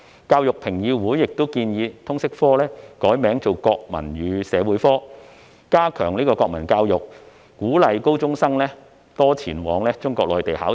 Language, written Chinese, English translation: Cantonese, 教育評議會其後建議把通識科易名為"國民與社會科"，以加強國民教育，並鼓勵高中生多前往中國內地考察。, Education Convergence subsequently suggested renaming LS as Nationals and Society to strengthen national education and encourage senior secondary school students to participate more in study tours to Mainland of China